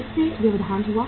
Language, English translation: Hindi, It got interrupted